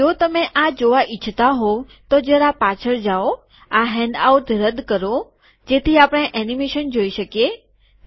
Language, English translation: Gujarati, So if you want to see this you just go back, remove this handout, so we can see the animation